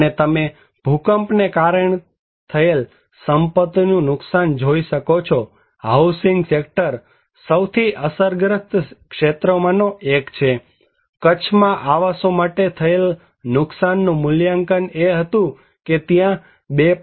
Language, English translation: Gujarati, And you can see the asset loss due to earthquake, housing sector is one of the most affected area estimated damage assessment for housing in Kutch was that there were 2